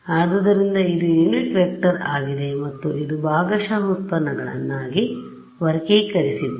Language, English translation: Kannada, So, this is a unit vector and this is in terms of I have grouped the partial derivatives right